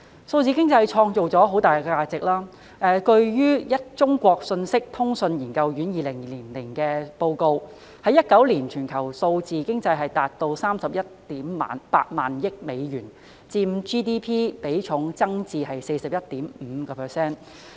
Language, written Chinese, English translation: Cantonese, 數字經濟創造了巨大價值，據中國信息通信研究院2020年發表的報告 ，2019 年全球數字經濟達 318,000 億美元，佔 GDP 比重增至 41.5%。, Digital economy has created huge value . According to the report released by the China Academy of Information and Communications Technology in 2020 the figure on global digital economy has reached US31.8 trillion in 2019 with its ratio to GDP increased to 41.5 %